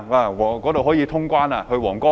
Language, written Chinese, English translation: Cantonese, 那裏可以通關，去皇崗吧！, We can cross the boundary there . Let us go to Huanggang!